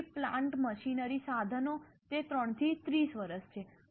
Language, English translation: Gujarati, Then plant, machinery equipment, it is 3 to 30 years